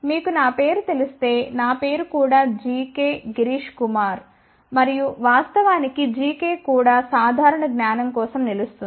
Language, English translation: Telugu, And if you know my name, my name is also g k girish kumar and of course, g k also stands for general knowledge